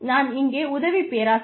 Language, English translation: Tamil, I am an assistant professor here